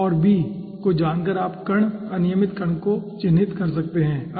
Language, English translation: Hindi, okay, so by knowing l and b you can characterize the particle irregular particle, okay